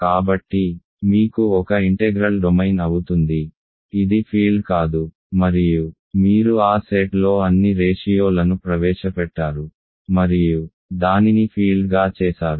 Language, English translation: Telugu, So, you have an integral domain, which is not a field and you have introduced all the ratios into that set and made it a field